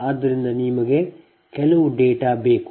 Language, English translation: Kannada, so now some data